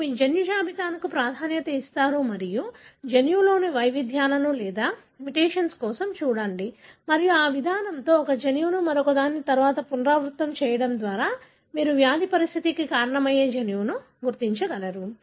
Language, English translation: Telugu, You prioritize your gene list and look for variations or mutation in the gene and with this approach by repeating one gene after the other you will be able to identify possibly the gene that causes the disease condition